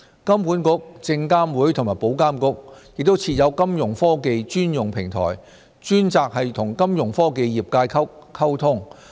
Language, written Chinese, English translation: Cantonese, 金管局、證監會和保監局亦設有金融科技專用平台，專責與金融科技業界溝通。, HKMA SFC and IA have also established their dedicated Fintech platforms to facilitate communication with industry players of Fintech